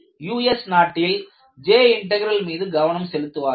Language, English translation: Tamil, In the US, they were mainly focusing on J integral